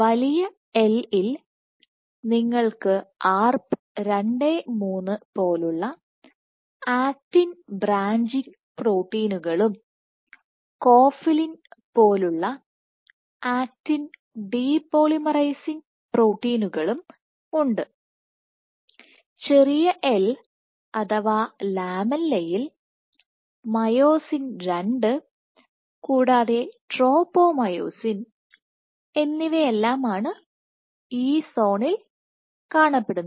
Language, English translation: Malayalam, So, in big “L” you have actin branching proteins like Arp 2/3 and actin depolymerizing proteins like cofilin in small “l” or the lamella you have myosin II and tropomyosin, myosin II and tropomyosin localized in this second zone